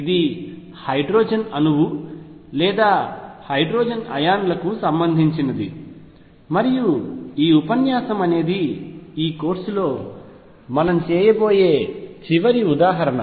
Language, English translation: Telugu, And this was related to hydrogen atom or hydrogen like ions, and this lecture on word and this is the final example that we will be doing in this course